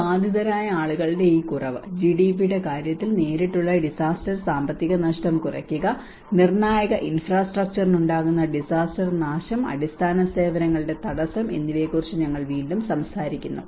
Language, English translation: Malayalam, And again we talk about this reduction of this affected people, reduce direct disaster economic loss in terms of GDPs and also disaster damage to critical infrastructure and disruption of basic services